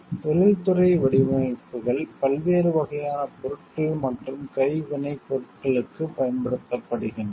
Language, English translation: Tamil, Industrial designs are applied to a wide variety of products and handicrafts